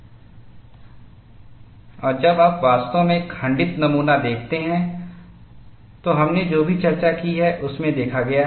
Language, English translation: Hindi, And when you actually see a fractured specimen, whatever we have discussed, is seen in that